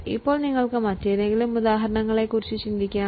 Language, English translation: Malayalam, Now, can you think of any other example